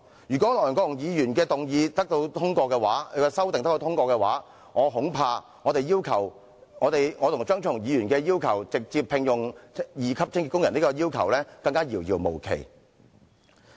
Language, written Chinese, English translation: Cantonese, 如果梁國雄議員的修正案獲得通過，我恐怕我和張超雄議員直接聘用清潔工的要求會變得遙遙無期。, If Mr LEUNG Kwok - hungs Amendment is passed I am afraid the proposal of Dr Fernando CHEUNG and me on the direct employment of cleaning workers may become a forlorn hope